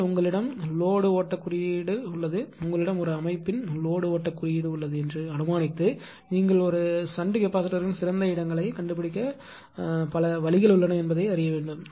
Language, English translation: Tamil, But you have the load flow coding say assuming that you have the load flow coding of a system then you have to find out there are several you know several different ways are there to find out the best locations of the shunt capacitor or our DG also right